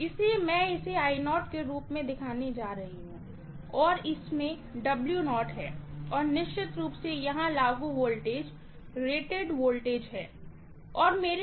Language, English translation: Hindi, So, I am going to show this as I0 and this has W0 and of course the voltage applied here is rated voltage